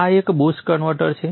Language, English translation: Gujarati, This is a post converter